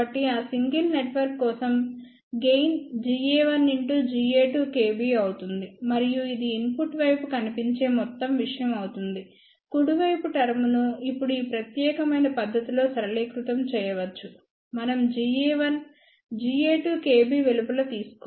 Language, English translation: Telugu, So, for that single network what will be the gain G a 1 multiplied by G a 2 k B and this will be the total thing which is seen at the input side, the right hand side terms can be now simplified in this particular fashion we can just take G a 1, G a 2 k p outside